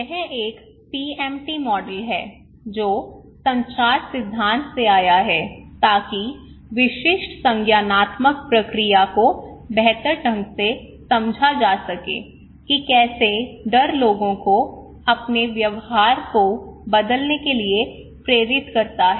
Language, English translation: Hindi, This one the PMT model, that came from the communications theory to better understand the specific cognitive process underlying how fear appeals motivate people to change their behaviour